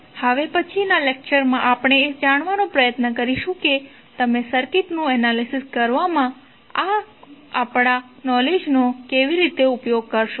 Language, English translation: Gujarati, So, in next lecture we will try to find out, how you will utilize this knowledge in analyzing the circuit